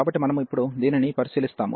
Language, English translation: Telugu, So, we will consider now this one